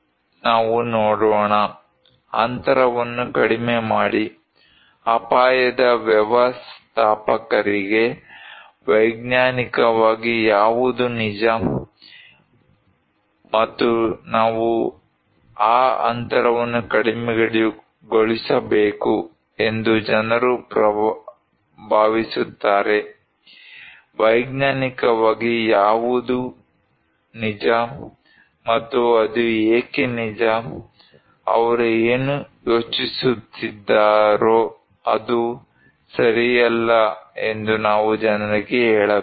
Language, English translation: Kannada, Let us look, reducing the gap; they are saying that it is very important for the risk manager that what scientifically true, and what people think we should reduce that gap, we should tell people that what is scientifically true and why it is true, what they think is not right